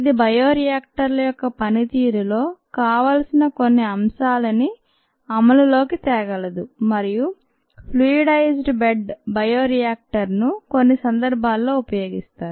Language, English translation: Telugu, that brings in certain desired aspects in the operation of bioreactors, and fluidized bed bioreactor are used in some situations